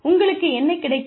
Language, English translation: Tamil, What do you get